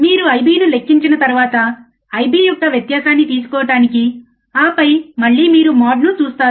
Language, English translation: Telugu, Once you calculate I b plus, I b minus, you have to take the difference of I b plus and I b minus, and then again you see some mode some mode